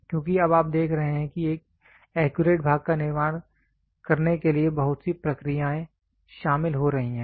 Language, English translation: Hindi, Because now you see lot many process are getting involved to produce an accurate part